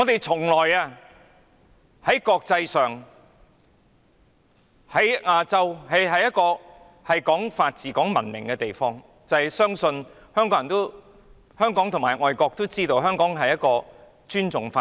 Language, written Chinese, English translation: Cantonese, 在國際或亞洲社會，香港向來是個講法治、講文明的地方，香港人和外國人都知道香港尊重法治。, In the eyes of the international or Asian communities Hong Kong has always been a place that attaches importance to the rule of law and is civilized and both Hong Kong people and foreigners know that Hong Kong respects the rule of law